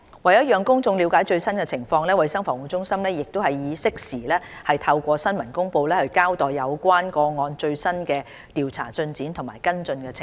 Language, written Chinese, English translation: Cantonese, 為讓公眾了解最新情況，衞生防護中心已適時透過新聞公布，交代有關個案的最新調查進展及跟進情況。, To keep the public informed of the latest situation CHP has been reporting through press releases the latest developments in its investigations into measles cases and the follow - up actions being taken